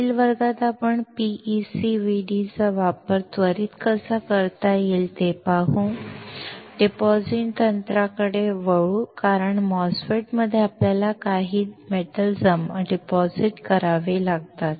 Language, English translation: Marathi, In the next class we will see how PECVD can be used quickly and will move on to the deposition technique because in a MOSFET, you have to deposit some metal